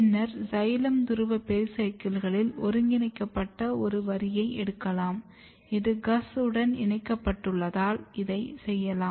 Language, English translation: Tamil, And then you look for a line where this has been integrated in the xylem pole pericycle, this you can do because it has been combined with GUS